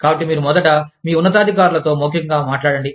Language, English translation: Telugu, So, you first talk to your superiors, orally